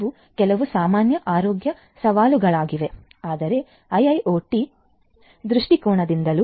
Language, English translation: Kannada, These are some of the generic healthcare challenges, but from an IIoT perspective as well